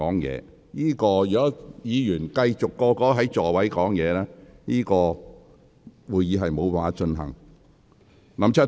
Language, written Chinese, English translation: Cantonese, 如果議員繼續在座位上說話，會議將無法繼續進行。, If Members continue to do so the Council cannot proceed with its business